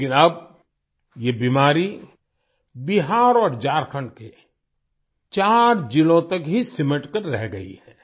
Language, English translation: Hindi, But now this disease is confined to only 4 districts of Bihar and Jharkhand